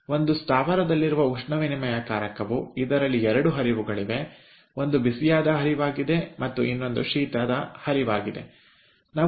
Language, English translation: Kannada, lets say, in a plant there are two stream, one is a hot stream and another is a cold stream